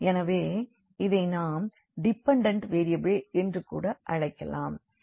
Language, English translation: Tamil, So, this is; so, called the dependent variables we can call